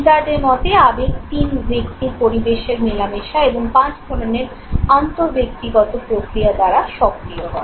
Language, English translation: Bengali, According to Izard, is motion is activated by 3% environment interaction and five types of intra individual processes